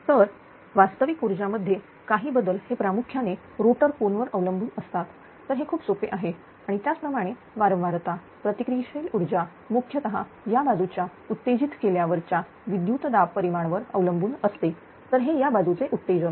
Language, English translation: Marathi, Now, small changes is real power are mainly dependent on changes in rotor angle delta right this is very simple and that is the frequency, the reactive power is mainly dependent on the voltage magnitude that is called the generation excitation that is this side, right that is the this side excitation side right